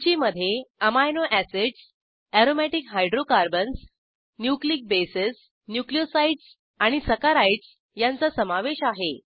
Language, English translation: Marathi, List contains Amino acids, Aromatic hydrocarbons, Nucleic bases, Nucleosides and Saccharides